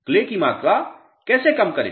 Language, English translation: Hindi, How to reduce clay content